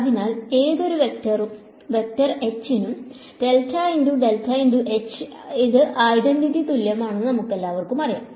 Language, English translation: Malayalam, So, we all know that so this del dot del cross H for any vector H this is identity equal to